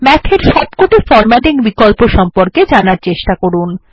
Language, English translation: Bengali, Feel free to explore all the formatting options which Math provides